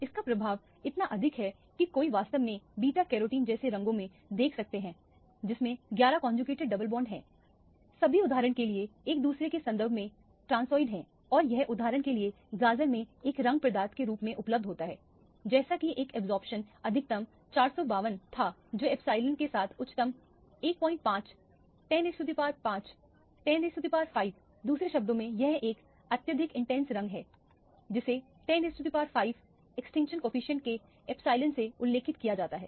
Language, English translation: Hindi, The effect is so much so that one can actually see in dyes like beta carotene which has 11 conjugated double bonds all of them are transoid with respect to each other for example, and this is available in as a coloring substance in carrots for example, as an absorption maximum was 452 with an epsilon as highest 1